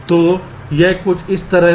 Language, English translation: Hindi, ok, so something like this